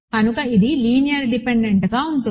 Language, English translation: Telugu, So, this is linearly dependent